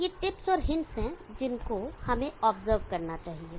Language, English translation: Hindi, So these are tips and hints that we should observe